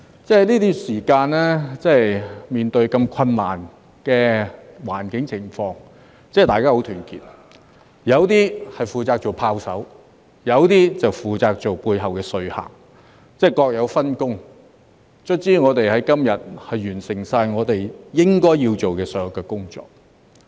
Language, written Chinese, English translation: Cantonese, 在這段時間，面對這麼困難的環境情況，大家十分團結：有的負責做"炮手"，有的就負責在背後做說客，各有分工，最後我們能在今日完成我們應該要做的所有工作。, Under the very difficult situation during this period of time we have been acting in solidarity with one another some taking the role of gunners while some serving as lobbyists behind the scenes . Our division of work has finally allowed us to complete all that we should do today